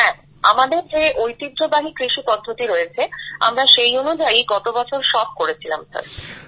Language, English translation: Bengali, Yes, which is our traditional farming Sir; we did it last year